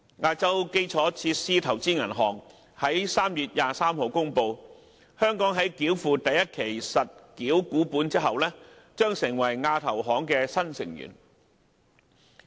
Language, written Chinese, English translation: Cantonese, 亞洲基礎設施投資銀行於3月23日公布，香港在繳付第一期實繳股本後，將成為亞投行的新成員。, The Asian Infrastructure Investment Bank AIIB announced on 23 March that Hong Kong had become a new AIIB member upon deposit of the first installment of capital subscription with the bank